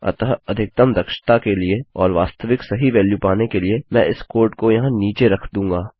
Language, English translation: Hindi, So, for maximum efficiency and to get the actual correct value Ill put this code down there